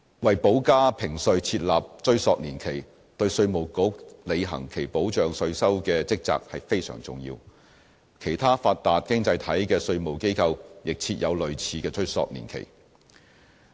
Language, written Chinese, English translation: Cantonese, 為補加評稅設立追溯年期，對稅務局履行其保障稅收的職責非常重要，其他發達經濟體的稅務機構亦設有類似的追溯年期。, It is of paramount importance to set a retrospective period for additional assessments so that IRD can perform its duties of safeguarding tax revenue . Tax authorities of other developed economies have also introduced similar retrospective periods